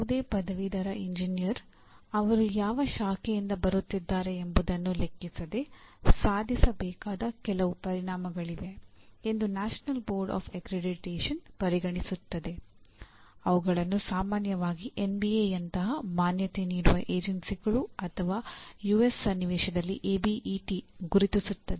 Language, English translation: Kannada, That is the National Board Of Accreditation considers there are certain outcomes any graduate engineer should attain, irrespective of the branch from which he is coming